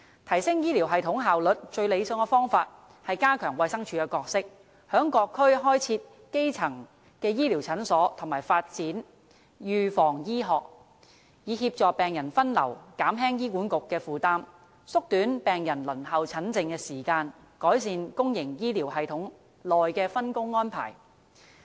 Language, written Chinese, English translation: Cantonese, 提升醫療系統效率的最理想方法是：加強衞生署的角色，於各區開設基層醫療診所和發展預防醫學，以協助病人分流，減輕醫管局的負擔，縮短病人輪候診症的時間，改善公營醫療系統內的分工安排。, The best way to enhance the efficiency of the health care system is to strengthen the role of the Department of Health with the establishment of primary health care clinic in each and every district in addition to the development of preventive medicine to help triage patients relieve HAs burden shorten the patients waiting time for treatment and improve the division of work within the public health care system